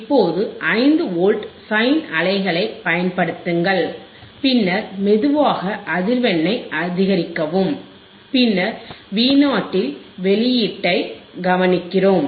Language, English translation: Tamil, Now apply a 5 Volts sine wave we have applied 5 Volt sine wave, we will applied say 5 Volt sine wave and then we will slowly increase the frequency, then we observe the output at V o